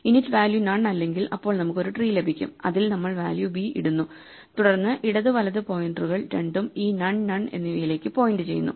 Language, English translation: Malayalam, The initial value is none we get this tree if the init value is not none then we get a tree in which we put the value v and then we make the left in the right pointers both point to this none, none